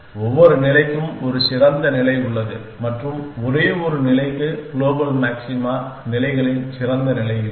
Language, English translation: Tamil, Every state has a better state and a only state is do not have better state of the global maxima states